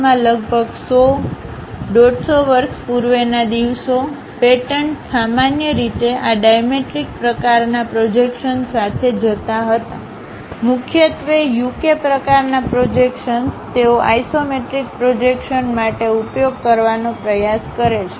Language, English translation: Gujarati, Earlier days like some 100, 150 years back, in US the patents usually used to go with this dimetric kind of projections; mainly UK kind of projections, they try to use for isometric projections